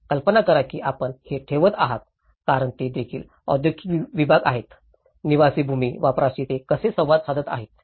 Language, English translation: Marathi, So, imagine if you are keeping this because it is also the industrial segments, how it is interacting with the residential land use